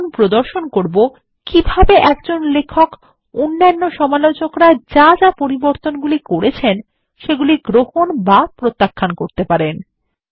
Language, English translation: Bengali, We will now show how the author can accept or reject changes made by the reviewer